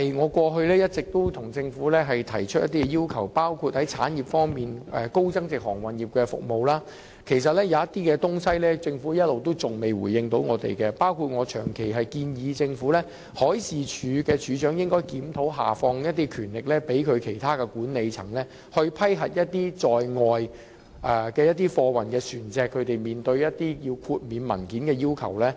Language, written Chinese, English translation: Cantonese, 我過去亦一直就產業方面向政府提出要求，例如在高增值航運業的服務方面，其實政府一直沒有回應我們提出的一些建議，包括我長期建議政府研究將海事處處長的權力下放給其他管理層，以批核貨運船隻有關豁免文件的要求。, I have all along put forward demands to the Government in respect of industries . For example in respect of high value - added maritime services actually the Government has not responded to some of our suggestions including a proposal consistently made by me to the Government of delegating the power of the Director of Marine to other members of the management for vetting and approving exemption from the documentary requirements for cargo vessels